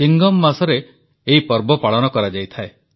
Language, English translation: Odia, This festival arrives in the month of Chingam